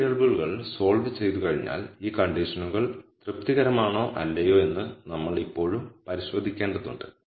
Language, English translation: Malayalam, Once we solve for these variables we have to still verify whether this conditions are satisfy or not